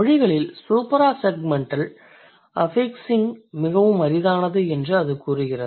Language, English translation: Tamil, So, it says supra segmental affixing is rare across languages